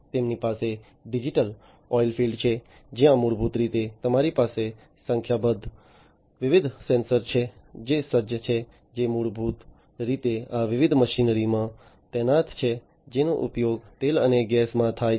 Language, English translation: Gujarati, They have the digital oilfield, where basically you have number of different sensors that are equipped that are deployed basically in these different machinery that are used in oil and gas